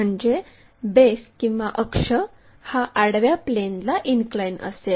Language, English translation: Marathi, So, in that front view we will see this axis is inclined to horizontal plane